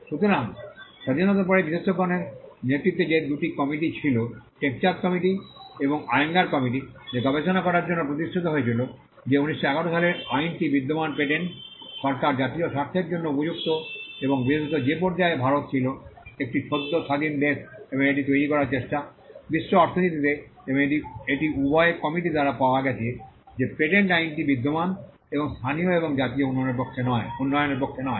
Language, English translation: Bengali, So, post Independence, there were two committees led by experts the Tek Chand committee and the Ayyangar committee which were established to study whether the existing patent regime which was a 1911 Act suited the national interest and more particularly at the stage in which India was a newly independent country and trying to make it is place firm in the global economy and it was found by both the committees that the patent act as it existed does not favor, local and national development